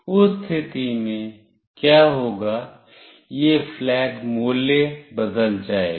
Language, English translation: Hindi, In that case, what will happen is that this flag value will change